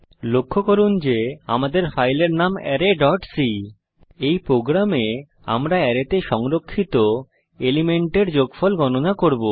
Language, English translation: Bengali, Please,note that our file name is array.c In this program, we will calculate the sum of the elements stored in an array